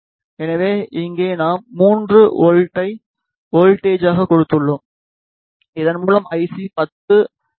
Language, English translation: Tamil, So, here we have given 3 volt as voltage and the current withdrawn by this it IC is 10 milliampere